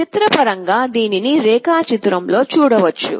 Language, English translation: Telugu, Pictorially it is shown in the diagram